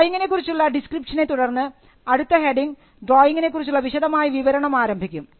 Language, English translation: Malayalam, Now, following the description of drawing, the next heading will be detailed description of the drawing